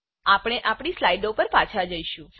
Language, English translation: Gujarati, We will move back to our slides